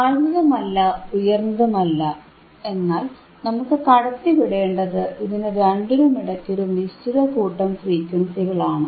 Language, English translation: Malayalam, Not a low, not high, but within somewhere within a set of frequencies that only we need to pass